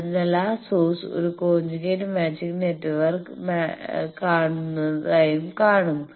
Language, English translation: Malayalam, So, that source will also see a that it is seeing a conjugate matched network